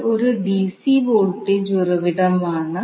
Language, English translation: Malayalam, So this is a dc voltage source